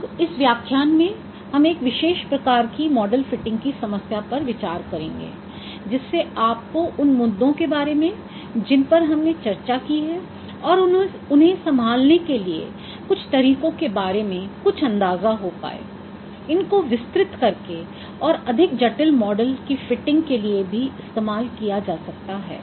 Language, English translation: Hindi, Now we will be considering a particular type of problem of model fitting for this lecture to give you some ideas of this issues what we discussed and some approaches to handle them those could be extended in fitting more complex models also